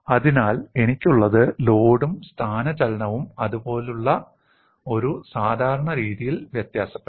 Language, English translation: Malayalam, So, what I have is, the load and displacement may vary in a generic fashion like this